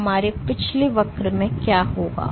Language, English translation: Hindi, So, what will happen in our previous curve